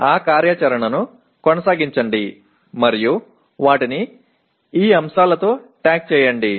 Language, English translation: Telugu, Continue that activity and tag them with these elements